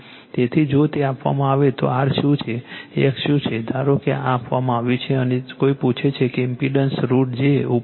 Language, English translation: Gujarati, So, if it is given then what is r what is x suppose this is given and somebody ask you that the impedance is root over j